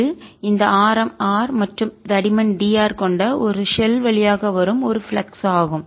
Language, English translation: Tamil, that is a flux through this shell of radius r and thickness d r